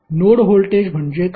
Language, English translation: Marathi, What is the node voltage